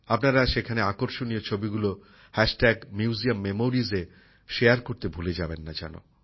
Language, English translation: Bengali, Don't forget to share the attractive pictures taken there on Hashtag Museum Memories